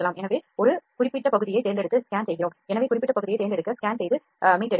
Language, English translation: Tamil, So, selecting and scanning a specific area, so we can scan and rescan and again rescan to select the specific area